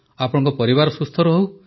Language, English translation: Odia, May you and your family stay healthy